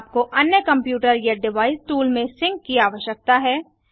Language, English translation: Hindi, You need sync to other computer or device tool